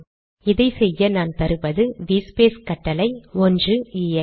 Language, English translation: Tamil, Let me do that by giving through this v space command 1 ex